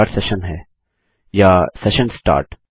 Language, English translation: Hindi, Is it start session or session start